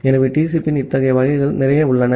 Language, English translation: Tamil, So, there are lots of such variants of TCP